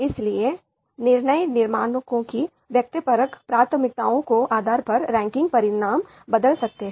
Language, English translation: Hindi, So depending on the subjective preferences of decision makers, the ranking results might change